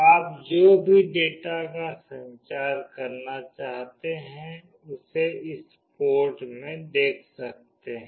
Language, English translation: Hindi, Whatever data communication you want you can see it in this port